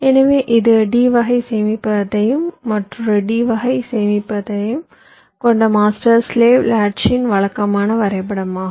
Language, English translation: Tamil, so this is the more conventional diagram of a master slave latch consisting of a d type storage and another d type storage